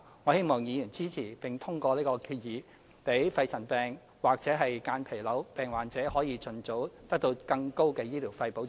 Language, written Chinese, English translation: Cantonese, 我希望議員支持並通過這項議案，讓肺塵病及間皮瘤病患者可盡早獲得更高的醫療費保障。, I hope that Members will support and pass this resolution so as to enhance the protection of persons suffering from pneumoconiosis and mesothelioma in terms of their medical expenses as early as possible